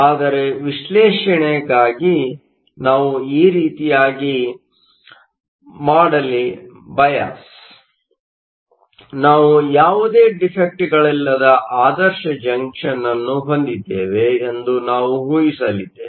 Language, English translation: Kannada, But for the analysis, we are going to do now; we are going to assume that we have an ideal junction that is there are no defects